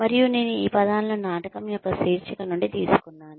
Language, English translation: Telugu, And, I have taken these words, from the title of the play